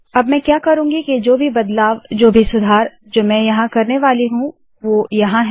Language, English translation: Hindi, Now what I am going to do is, whatever change, whatever improvement that I am going to make to this are here